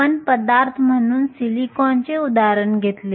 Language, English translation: Marathi, We took the example of silicon as a material